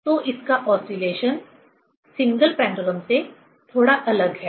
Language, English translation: Hindi, So, its oscillation is slightly different from the single pendulum